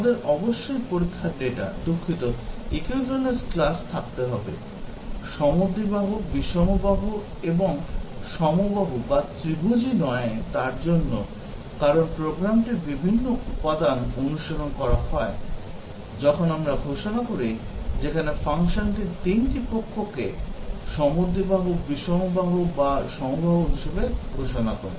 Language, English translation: Bengali, We must have test data, sorry, equivalence classes, defined corresponding to isosceles, scalene, equilateral, not a triangle, because different elements of the program are exercised, when we declare, where the function declares the 3 sides to be isosceles, scalene or equilateral